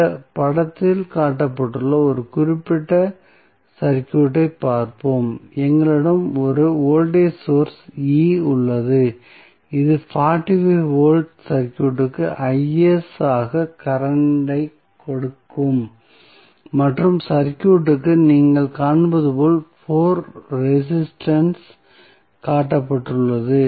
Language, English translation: Tamil, Let us see 1 particular circuit which is shown in this figure, we have a voltage source E that is 45 volt given current as Is to the circuit and the 4 resistance as you will see in the circuit are shown